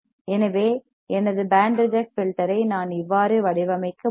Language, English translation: Tamil, So, I can easily design my band reject filter alright